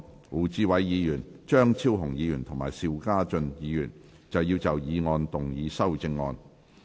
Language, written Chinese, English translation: Cantonese, 胡志偉議員、張超雄議員及邵家臻議員要就議案動議修正案。, Mr WU Chi - wai Dr Fernando CHEUNG and Mr SHIU Ka - chun wish to move amendments to the motion